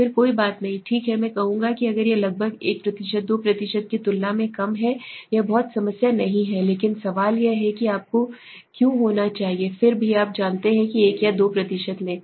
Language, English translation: Hindi, Then no issues okay I will say if it is less than it is around 1% 2 % it is not much of a problem but the question is why should you again even you know take 1 or 2% because 1 or 2%